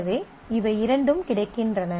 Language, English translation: Tamil, So, both of them are available